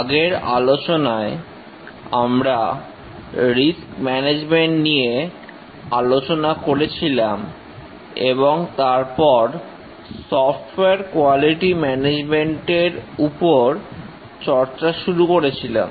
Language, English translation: Bengali, In the last lecture we had discussed about risk management and then we had started discussing about software quality management